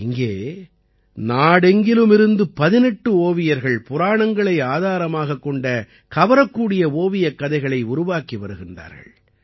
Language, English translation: Tamil, Here 18 painters from all over the country are making attractive picture story books based on the Puranas